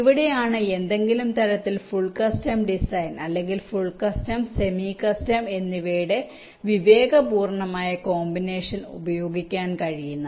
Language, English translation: Malayalam, it is here where some kind of full custom design or some judicious combination of full custom and same custom can be used